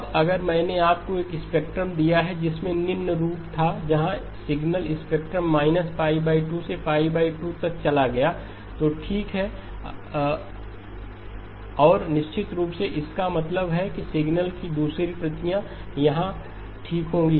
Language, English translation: Hindi, Now if I gave you a spectrum that had the following form where the signal spectrum went from 0 to pi by 2, minus pi by 2 to pi by 2 okay and of course that means the other copy of the signal would be here okay